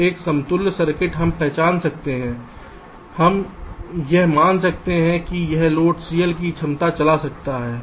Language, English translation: Hindi, so an equivalent circuit we may recognize, we may treat that it is driving a capacity of load c l